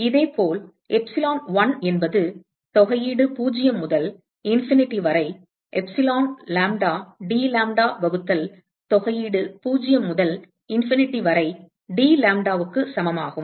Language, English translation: Tamil, And similarly, epsilon1 is integral 0 to infinity epsilon lambda dlambda divided by integral 0 to infinity dlambda